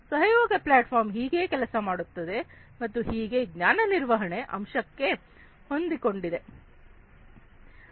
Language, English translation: Kannada, So, this is how a collaboration platform works, and how it is linked to the knowledge management aspect of it